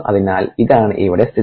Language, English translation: Malayalam, ok, so this is the situation here